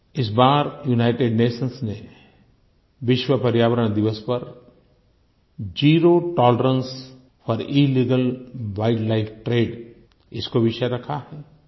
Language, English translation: Hindi, This time on the occasion of World Environment Day, the United Nations has given the theme "Zero Tolerance for Illegal Wildlife Trade"